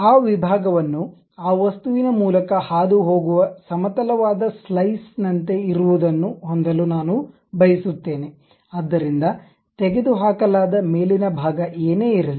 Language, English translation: Kannada, I would like to have that section something like a horizontal slice passing through that object so, whatever the top portion that has been removed